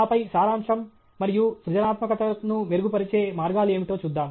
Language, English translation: Telugu, And then, summary and we will see what are the ways to improve creativity